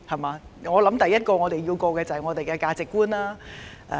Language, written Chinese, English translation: Cantonese, 我認為，第一個關口是價值觀。, I think they have to consider social values in the very first place